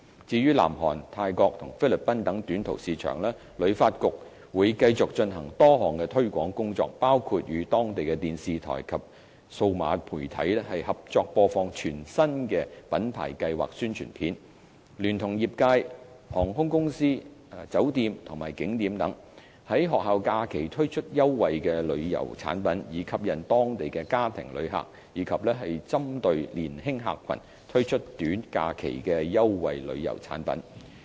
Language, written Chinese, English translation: Cantonese, 至於南韓、泰國及菲律賓等短途市場，旅發局會繼續進行多項推廣工作，包括與當地電視台及數碼媒體合作播放全新的品牌計劃宣傳片；聯同業界、航空公司、酒店及景點等，於學校假期推出優惠旅遊產品，以吸引當地家庭旅客，以及針對年輕客群，推出短假期的優惠旅遊產品。, The funding involves marketing and promotion expenses for different source markets . For short - haul markets including South Korea Thailand and the Philippines HKTB will continue to conduct a series of promotions which will include partnering with local TV stations and digital media to broadcast new brand videos; cooperating with trade partners airlines hotels and tourist attractions to roll out special tour products targeting families during school holidays; and launch attractive tour products for young visitors for short - break trips to Hong Kong